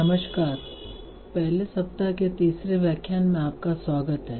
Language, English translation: Hindi, So, welcome to the third lecture of the first week